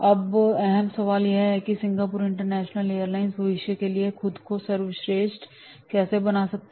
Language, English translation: Hindi, Now the key question, how can Singapore International Airlines best position itself for the future